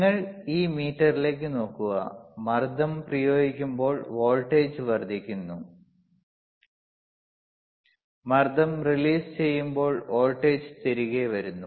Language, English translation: Malayalam, yYou look at this meter right, applying pressure increases voltage increases; , releasing the pressure voltage comes back